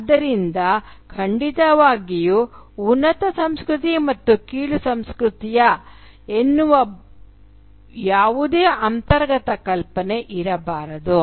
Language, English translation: Kannada, So, of course, there cannot be any inherent notion of a superior culture and an inferior culture